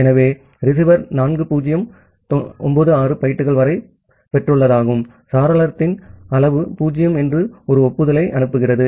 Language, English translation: Tamil, So, the receiver sends an acknowledgement saying that it has received up to 4096 bytes and the window size is 0